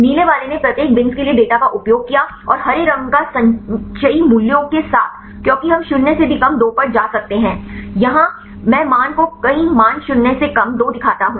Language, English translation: Hindi, The blue one used the data for each bin and the green one with the cumulative values because we can go even less than minus 2 here I show the value many values less than minus 2 right